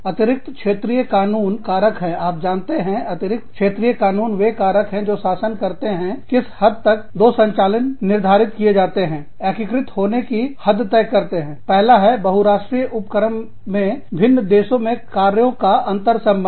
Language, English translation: Hindi, Extra territorial laws are factors, you know, in the case of extra territorial laws, the factors that govern, the extent to which, two operations are determined, to be integrated are, the first one is, interrelationship of the operations, in different countries, in a multi national enterprise